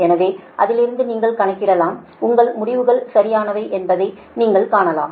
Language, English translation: Tamil, so from that you can calculate, you can see that your results are correct